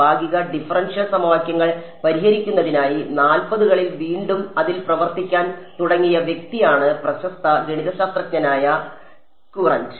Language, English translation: Malayalam, The famous mathematician Courant is the person who began to work on it in the 40s again for solving partial differential equations